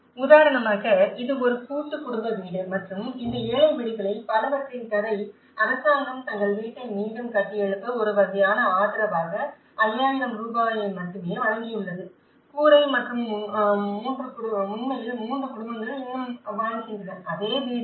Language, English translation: Tamil, For instance, this is a story of a house as a joint family house and many of these poor houses, the government has given only 5000 rupees as a kind of support to rebuild their house, the roof and the reality is 3 families still live in the same house